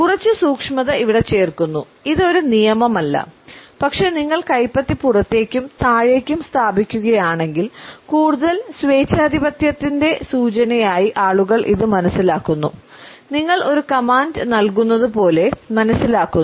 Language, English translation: Malayalam, Just a little bit of nuance here this is not a hard and fast rule, but if you place palm out and down, people tend to understand this as more authoritarian like you are giving a command